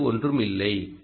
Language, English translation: Tamil, so that is one thing